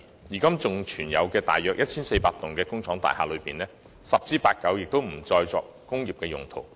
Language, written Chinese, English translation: Cantonese, 現在尚餘約 1,400 幢工廈當中，十之八九已不再用作工業用途。, There are only about 1 400 industrial buildings left at the moment; and the vast majority of them are no longer used for industrial purposes